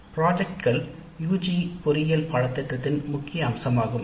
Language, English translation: Tamil, Projects are key components of a typical UG engineering curriculum